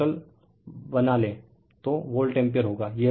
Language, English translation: Hindi, And total if you make, it will be volt ampere